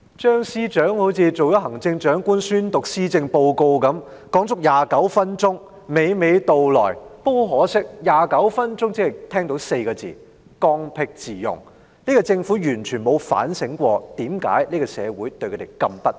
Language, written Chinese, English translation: Cantonese, 張司長好像出任行政長官般宣讀施政報告，發言足足29分鐘，娓娓道來，但很可惜，從他29分鐘的發言，我聽到的只是"剛愎自用 "4 個字，政府完全沒有反省為何社會對他們如此不滿。, Chief Secretary for Administration Matthew CHEUNG appeared to be delivering a policy address as if he were the Chief Executive speaking for a total of 29 minutes and presenting his arguments conversantly . But regrettably from his 29 - minute speech all I could hear is the Government being headstrong and opinionated completely failing to reflect on why the community is so dissatisfied with them